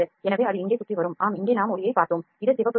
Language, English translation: Tamil, So, it will come around here yes here we saw just saw the light, this is the red light this is a red light